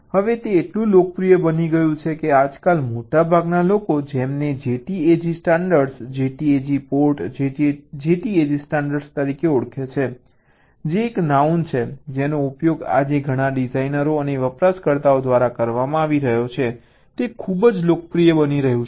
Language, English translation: Gujarati, now, it became so popular that now a days, ah, most of the people called them as the jtag standard, jtag, port, jtag standard, that is, ah known which is be used by many designers and the users today